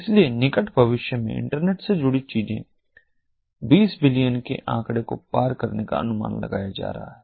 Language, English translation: Hindi, so the things that are connected to the internet are going to be projected to cross the twenty billion figure in the near future